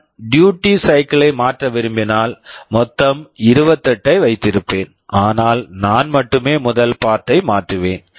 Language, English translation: Tamil, When I want to change the duty cycle, the total I will keep 28, but only I will be changing the first part